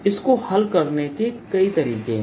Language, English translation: Hindi, there are several ways